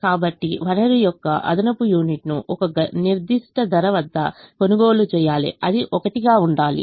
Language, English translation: Telugu, so an extra unit of the resource has to be bought at a certain price, which happens to be one